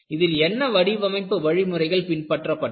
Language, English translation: Tamil, And what are the design approaches you had